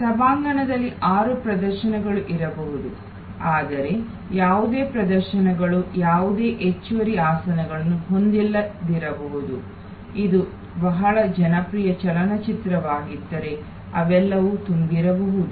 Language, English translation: Kannada, There may be six shows at an auditorium, but there may be none of the shows may have any extra seat available, they may be all full, if it is a very popular movie